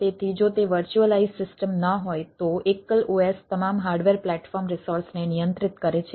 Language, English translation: Gujarati, so if it is a no virtualize system, a single os controls the all hardware platform resources